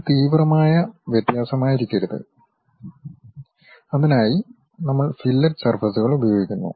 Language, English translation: Malayalam, It should not be sharp variation, for that purpose also we use fillet surfaces